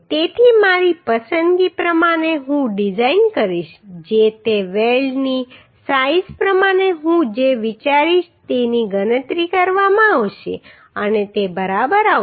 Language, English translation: Gujarati, So according to my choice I will design whatever I will consider according to that size of the weld will be calculated and it will come right